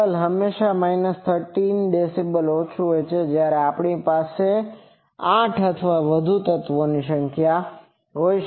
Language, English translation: Gujarati, Level is always minus 13 dB down, if we have number of elements something like 8 or more